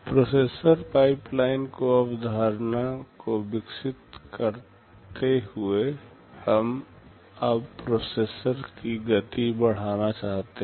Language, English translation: Hindi, Extending the concept to processor pipeline, we want to increase the speed of a processor now